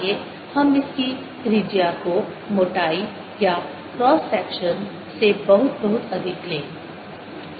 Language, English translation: Hindi, let us take the radius of this to be much, much, much greater than the thickness of your cross section